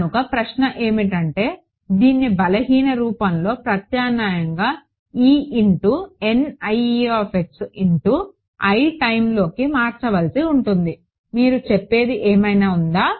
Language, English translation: Telugu, So, the question is will have to substitute this into the weak form e into i N e into i times is there what you are saying